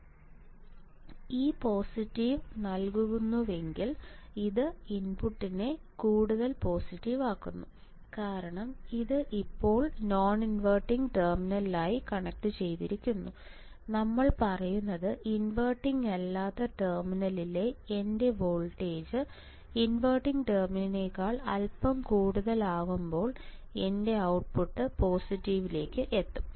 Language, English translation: Malayalam, And this makes if this gives positive this makes even more positive at the input this makes even more positive at the input because now it is connected to the non inverting terminal right what, we say is that if my if my voltage at the non inverting terminal is slightly greater than the non inverting terminal my output will reach to positive